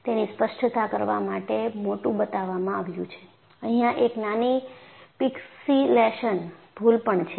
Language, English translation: Gujarati, But, it is shown big for clarity and also, there is also a small pixilation error here